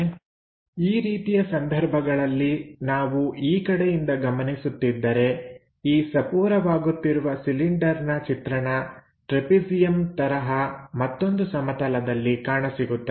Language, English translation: Kannada, So, if that is the case, if we are observing from this direction, the projection of this taper cylinder comes as a trapezium on the other plane